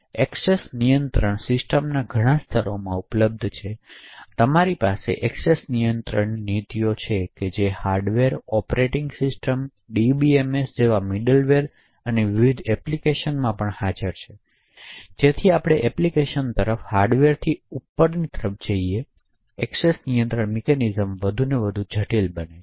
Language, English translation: Gujarati, So access controls are available in a number of levels in the system, so you have access control policies which are present at the hardware, operating system, middleware like DBMS and also in various applications, so as we go upwards from the hardware towards the application, the access control mechanisms become more and more complex